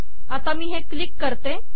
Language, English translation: Marathi, Now let me click this